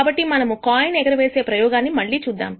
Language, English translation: Telugu, So, let us look at the coin toss experiment again